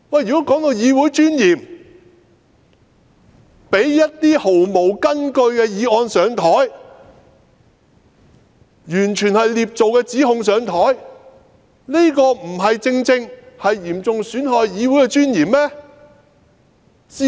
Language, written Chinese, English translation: Cantonese, 說到議會尊嚴，讓一些毫無根據的議案提交議會討論、完全是捏造的指控提交議會討論，這不正正嚴重損害議會的尊嚴嗎？, Speaking of the Councils dignity will it not be seriously undermined by the very discussions of some totally unfounded motions and sheer fabrications for in this Council?